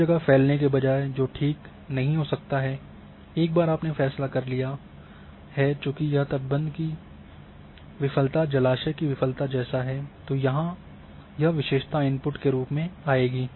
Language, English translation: Hindi, Rather than spreading everywhere which may not be true, once you have decided since for this dike failure there like in case of reservoir you have to have a reservoir similar in case of dike failure that feature will come as input